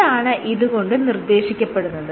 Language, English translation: Malayalam, What does it suggest